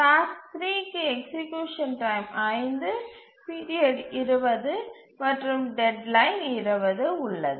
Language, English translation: Tamil, Task 3, execution time 5, period 20 and deadline 20